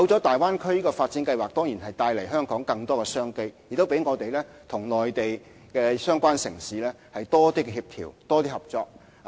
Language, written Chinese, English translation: Cantonese, 大灣區發展計劃的出現，當然為香港帶來更多商機，亦讓我們與內地相關城市有更多協調和合作。, The Bay Area development plan has definitely brought extra business opportunities to Hong Kong and enabled Hong Kong to effect better coordination and more cooperation with the relevant Mainland cities